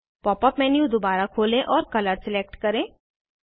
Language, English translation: Hindi, Open the Pop up menu again and select Color